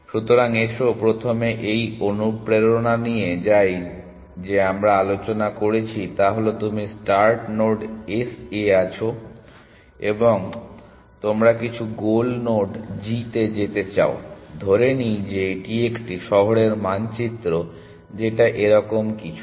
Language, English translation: Bengali, So, let us first get the motivation into place which we have just discussed is that you are at some start node S, and you want to go to some goal node g, assuming this is a city map or something like that